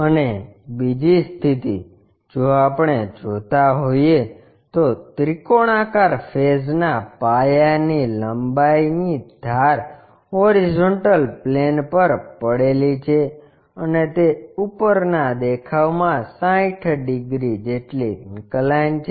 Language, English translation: Gujarati, And second condition if we are seeing, the longer edge of the base of the triangular face lying on horizontal plane and it is inclined 60 degrees in the top view